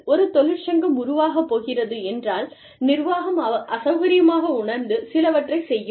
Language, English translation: Tamil, Now, when a union is going to be formed, the organization may feel, uncomfortable, and they may do, certain things